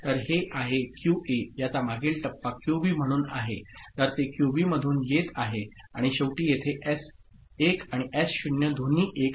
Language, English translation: Marathi, So, that is QA so, it is previous stage is QB so it is coming from QB and finally, here S1 and S0 both are 1